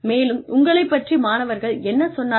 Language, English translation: Tamil, What did the students say about you